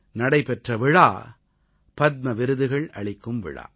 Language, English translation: Tamil, And the ceremony was the Padma Awards distribution